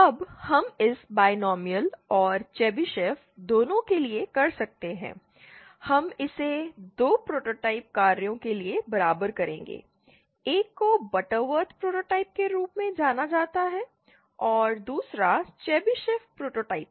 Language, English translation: Hindi, Now we can do it both for binomial and Chebyshev but I will just show you for the, for the I beg your pardon, we will be equating this to 2 prototype functions one is known as the Butterworth prototype and the other is the Chebyshev prototype